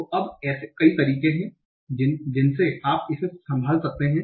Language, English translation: Hindi, So now there are many ways in which you can handle it